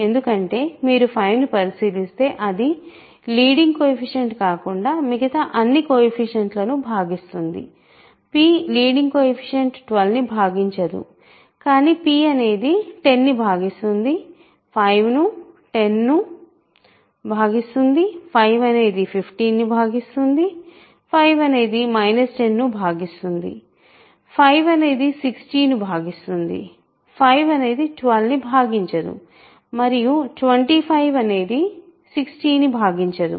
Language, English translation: Telugu, Because if you check 5 it divides all the coefficients other than the leading coefficients, leading coefficient, right, p does not divide 12, but p divides 10, p divides 5 divides 10, 5 divides 50, 5 divides minus 10, 5 divides 60, 5 does not divide 12 and 25 does not divide 60